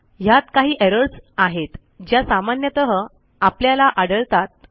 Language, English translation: Marathi, These are some of the errors you are likely to encounter